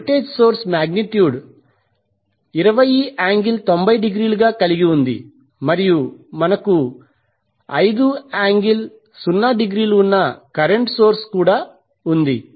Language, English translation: Telugu, The voltage source is having magnitude as 20 angle 90 degree and we also have one current source that is 5 angle 0